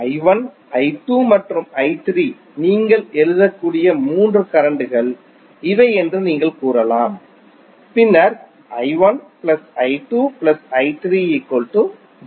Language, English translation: Tamil, You can say these are the three currents you can write may be I 1, I 2 and I 3, so what will happen